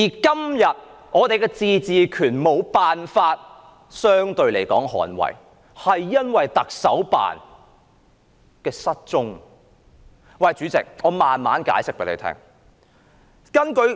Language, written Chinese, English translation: Cantonese, 今天，我們的自治權無法相對得到捍衞，是因為行政長官辦公室的失蹤。, Today no one comes to the defence of our autonomy because the Chief Executives Office has gone missing